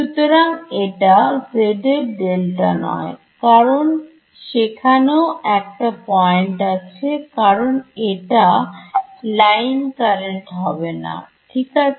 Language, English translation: Bengali, So, it will not be a delta z because there will be a point so, this is not be a line current right